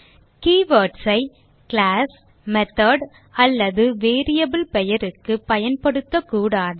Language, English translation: Tamil, We cannot use keywords for our class, method or variable name